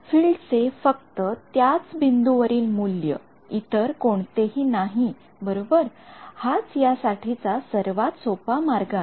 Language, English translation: Marathi, So, the value of the field at that point only not anywhere else right, this is the simplest way to implement it